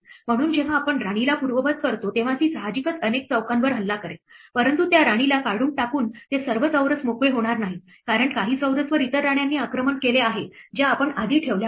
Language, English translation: Marathi, So, when we undo a queen it will obviously, attack many squares, but not all those squares become free by removing that queen because, some of the squares are also attacked by other queens which we had placed earlier